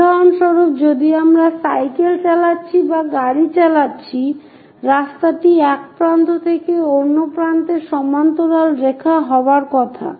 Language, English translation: Bengali, For example, if we are riding a bicycle or driving a car, the road is supposed to be a parallel lines from one end to other end